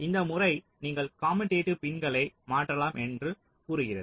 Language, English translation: Tamil, so this method says that you can swap commutative pins